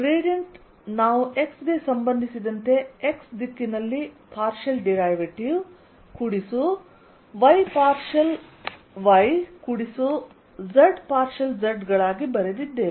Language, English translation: Kannada, gradient we wrote as partial derivatives in the direction x with respect to x plus y, partial y plus z, partial z